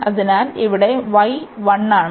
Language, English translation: Malayalam, So, here y is 1